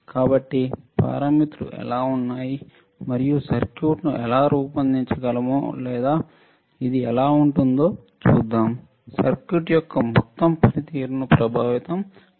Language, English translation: Telugu, So, let us see how what are the parameters and how we can design the circuit or how this will affect the overall performance of the circuit